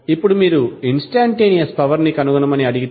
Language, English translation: Telugu, Now, if you are asked to find the instantaneous power